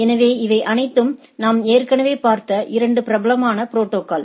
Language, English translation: Tamil, So, these are the popular protocols which we all already we have seen